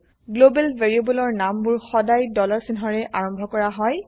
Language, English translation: Assamese, Global variable names are prefixed with a dollar sign ($)